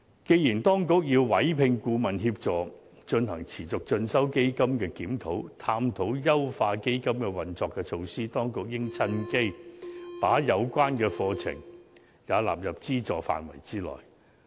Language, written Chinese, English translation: Cantonese, 既然當局已委聘顧問協助進行持續進修基金的檢討，探討優化基金的運作措施，當局應趁機把有關課程也納入資助範圍內。, Since the authorities have commissioned a review of CEF to explore how its operation can be refined the authorities should take this opportunity to include catering courses in the scope of subsidies under CEF